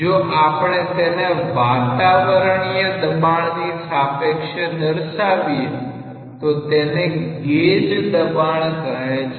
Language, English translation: Gujarati, If we prescribe with risk reference to the atmospheric pressure, we call it a gauge pressure